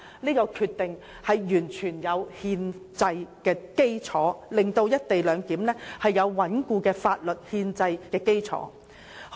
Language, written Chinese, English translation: Cantonese, 這項決定完全具有憲制基礎，令"一地兩檢"具有穩固的法律憲制基礎。, The Decision was made completely on a constitutional basis thereby providing a sound legal and constitutional basis for the co - location arrangement